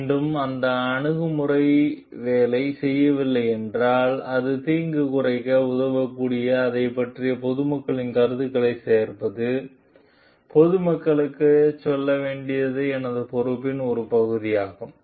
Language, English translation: Tamil, And if again that approach is not working and it is a part of my responsibility to move to the public at large also, to gather a public opinion about it which may help to reduce the harm